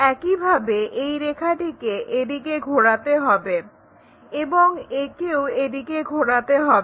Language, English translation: Bengali, This entire line has to be rotated in that direction and this one also in that direction